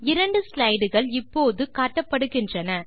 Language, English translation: Tamil, Notice, that two slides are displayed now